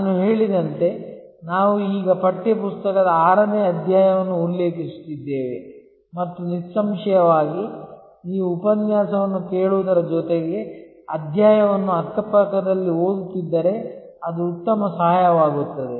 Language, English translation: Kannada, As I mentioned, we are now referring to chapter number 6 of the text book and obviously, it will be a good help if you also read the chapter side by side, besides listening to the lecture